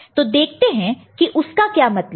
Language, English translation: Hindi, So, let us see how what does it mean